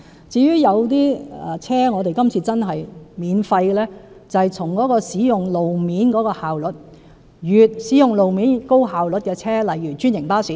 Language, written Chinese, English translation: Cantonese, 至於今次讓某些車輛獲免費優惠，是從使用路面的效率考慮，即使用路面效率高的車輛，例如是專營巴士。, As for the waiver of tunnel tolls for certain types of vehicles it is premised on consideration of efficiency of road usage which means vehicles with high efficiency of road usage like franchised buses